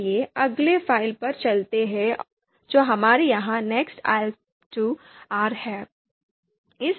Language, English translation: Hindi, So let’s go to the next file that we have here ahp two dot R